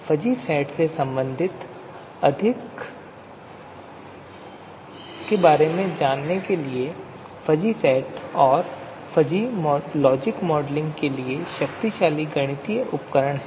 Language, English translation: Hindi, So to talk about more you know, related to fuzzy sets; fuzzy sets and fuzzy logic are powerful mathematical tools for modeling